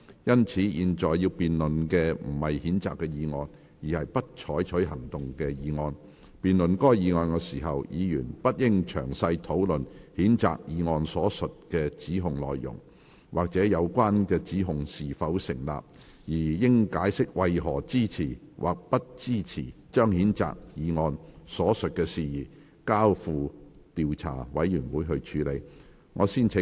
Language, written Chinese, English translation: Cantonese, 因此，本會現在要辯論的不是譴責議案，而是"不採取行動"的議案。辯論該議案時，議員不應詳細討論譴責議案所述的指控內容，或有關指控是否成立，而應解釋為何支持或不支持將譴責議案所述的事宜，交付調查委員會處理。, Since the present debate is not on the censure motion but on the motion that no further action shall be taken on the censure motion Members should not discuss the content of the allegations stated in the motion in detail or whether the allegations are justified during the debate on this motion . Members should explain why they support or oppose that the matter stated in the censure motion be referred to an investigation committee